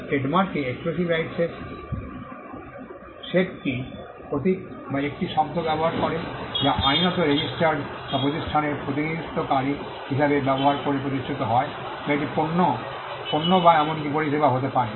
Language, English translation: Bengali, The set of rights exclusive rights in trademark pertain to using a symbol or a word that is legally registered or established by used as representing a company or it is products; could be products or even services